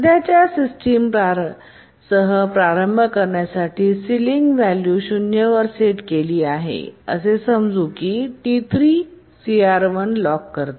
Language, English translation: Marathi, To start with, the current system ceiling is set to 0 and let's assume that T3 locks CR1